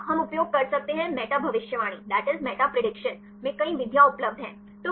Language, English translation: Hindi, Second one we can use; the meta prediction there are several methods available